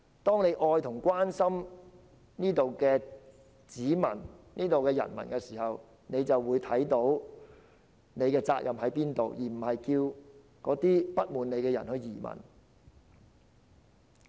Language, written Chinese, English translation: Cantonese, 當他們愛和關心這裏的人民，自然會看到自己的責任何在，而不會叫那些不滿他們的人移民。, If they really love and care about the people here they will naturally understand their responsibilities and will not ask people who bear them a grudge to emigrate